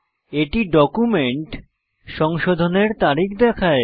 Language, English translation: Bengali, It also shows the Revision date of the document